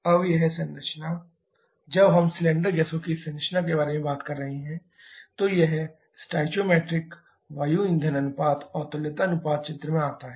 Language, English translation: Hindi, Now, this composition when we are talking about this composition of cylinder gases, then this stoichiometric air fuel ratio and the equivalence ratio comes into picture